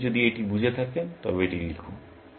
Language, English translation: Bengali, If you have got a feel of that, just write it down